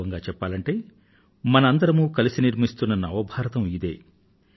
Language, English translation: Telugu, In fact, this is the New India which we are all collectively building